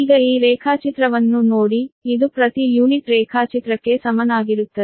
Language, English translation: Kannada, now you see this equivalent, that per unit diagram, right